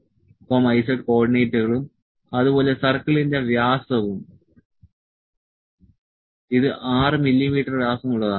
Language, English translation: Malayalam, So, X Y and Z coordinates and diameter of the circle, it is 6 mm dia